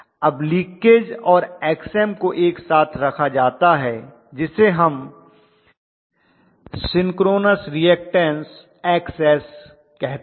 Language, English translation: Hindi, Now these two put together, the leakage and Xm put together we call that as the synchronous reactance Xs